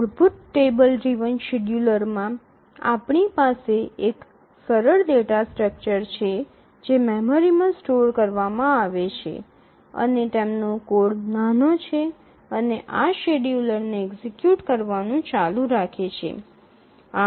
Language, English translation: Gujarati, So, here as you can see in a basic travel driven scheduler we have a simple data structure that is stored in the memory and the code is small and it just keeps on executing this schedule